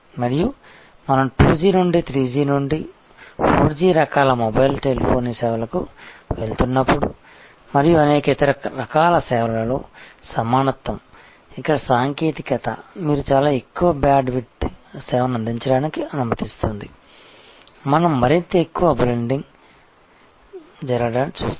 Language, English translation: Telugu, And as we go from 2G to 3G to 4G types of mobile telephony services and the equivalence in many other type of services, where technology allows you to provide a much higher bandwidth of service, we will see a more and more bundling happening